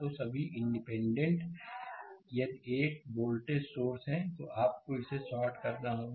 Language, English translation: Hindi, So, all the independent if it is a voltage source, you have to short it